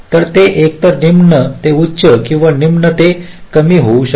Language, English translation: Marathi, ok, so it can be either low to high or high to low